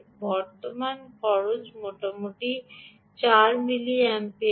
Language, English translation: Bengali, the current consumption is roughly four milliamperes